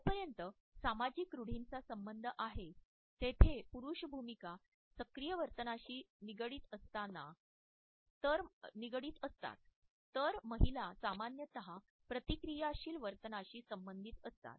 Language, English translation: Marathi, As far as social stereotypes are concerned, male roles are associated with proactive behavior, whereas women are normally associated with reactive behaviors